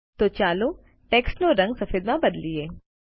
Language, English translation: Gujarati, So let us change the color of the text to white